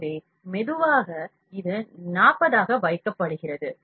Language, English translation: Tamil, So, thus at slow it is kept 40